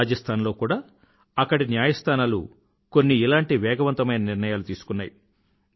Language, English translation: Telugu, Courts in Rajasthan have also taken similar quick decisions